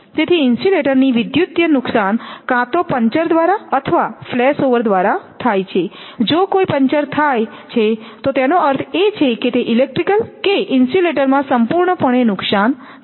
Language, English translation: Gujarati, So the electrical failure of insulator occurs either by puncture or flash over the puncture, if a puncture happens that means that means that electric that insulator will be totally damaged